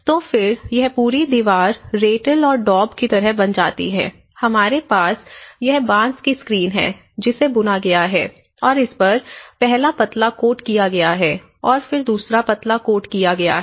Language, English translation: Hindi, So, then this whole wall like we know the rattle and daub sort of thing, so we have this bamboo screen, which has been weaven and then the first coat of slender has made and then the second coat of slender is made later on the bamboo screen